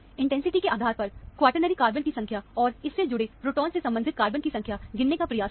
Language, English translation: Hindi, Try to count the number of quaternary carbons, and the number of carbons that has proton attached to it, based on the intensity